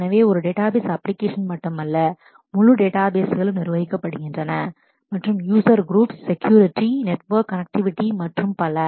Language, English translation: Tamil, So, it is just not one database application, but a whole lot of databases and whole lot of user groups, security, network connectivity and all that